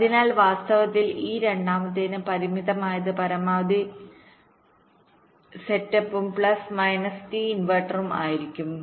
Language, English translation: Malayalam, so actually, for this second one, the constrained will become max step plus minus minimum of t inverter